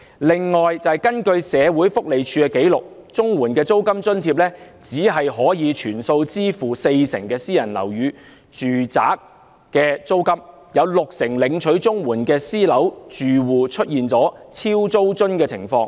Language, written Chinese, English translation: Cantonese, 此外，根據社署的紀錄，綜援的租金津貼只可全數支付四成領取綜援人士租用私人樓宇住宅的租金，導致六成領取綜援的私樓住戶出現"超租津"的情況。, In addition according to the records of SWD the rent allowance under CSSA can only cover in full the rents paid by 40 % of the CSSA recipients renting private residential properties such that 60 % of the CSSA recipients living in private properties face the problem of actual rent exceeding the monthly rent allowance received